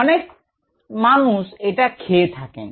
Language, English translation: Bengali, many people consume that